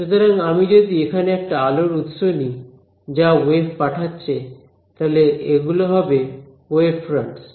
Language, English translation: Bengali, So, if I take a light source over here which is sending out waves, so these are the waves fronts